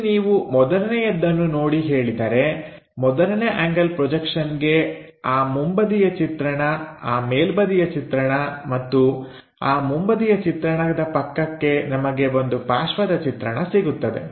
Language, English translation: Kannada, Here if you are say seeing the first one, for first angle projection, the front view, the top view, next to front view, we will have a side view